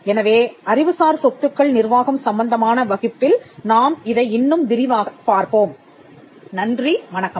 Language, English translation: Tamil, So, in the class where we deal with management of intellectual property right, we will look at this in greater detail